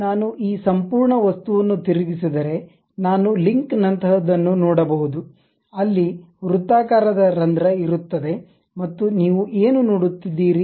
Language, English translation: Kannada, If I flip this entire object I will see something like a link, there will be a circular hole and there is what do you see